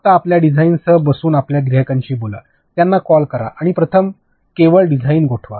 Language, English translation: Marathi, Just sit down with your design and talk to your clients, have calls with them and first only freeze the design